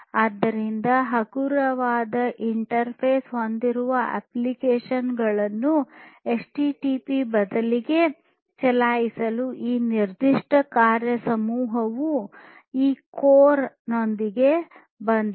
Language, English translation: Kannada, So, this particular working group has come up with this core to enable applications with lightweight interface to be run in place of HTTP